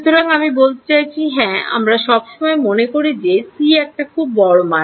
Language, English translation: Bengali, So, I mean yeah we usually thing that c is the very large value